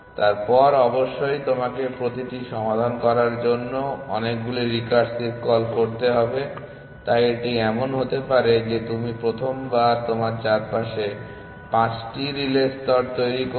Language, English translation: Bengali, Then, of course you have to make that many recursive calls to solve each of them, so it may be the case that the first time around you make 5 relay layers